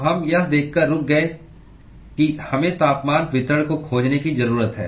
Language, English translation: Hindi, So, we stopped by observing that we need to find the temperature distribution